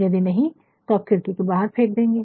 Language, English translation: Hindi, If it is not, throw it out of the window"